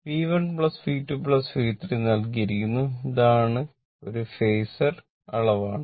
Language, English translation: Malayalam, But it is given V 1 plus V 2 plus V 3 it is a Phasor quantity right